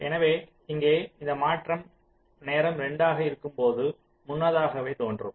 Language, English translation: Tamil, so here this transition will be appearing earlier at time two